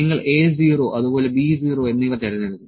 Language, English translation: Malayalam, You will select A 0 and B 0, A 0 and B 0